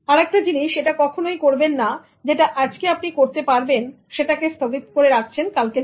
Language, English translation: Bengali, And then never do a thing that you can do it today and then never try to postpone it for tomorrow